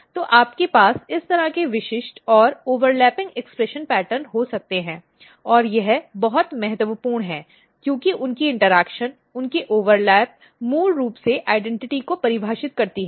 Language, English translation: Hindi, So, you can have this kind of specific and overlapping expression pattern and this is very important because their interaction their overlap basically defines the identity